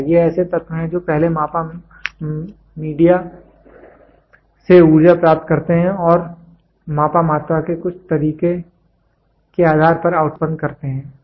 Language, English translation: Hindi, These are the element that first receives energy from the measured media and produces an output depending in some way of the measured quantity